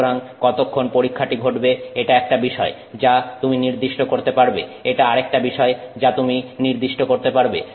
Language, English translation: Bengali, So, how long the test happens is so this is one thing you can specify, this is another thing you can specify